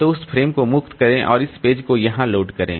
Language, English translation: Hindi, So, free that frame and load this page there